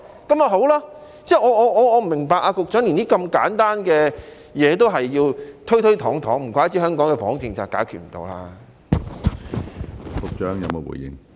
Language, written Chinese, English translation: Cantonese, 我不明白局長連如此簡單的東西也要推推搪搪，難怪香港的房屋政策解決不了。, It is as simple as that . I do not understand why the Secretary has to dodge such a simple matter no wonder Hong Kongs housing policy cannot solve the housing problem